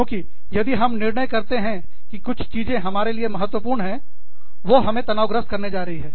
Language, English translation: Hindi, Because, if i decide, that something is very, very, important for me, is going to stress me out, more